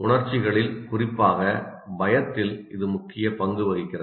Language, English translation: Tamil, It plays an important role in emotions, especially fear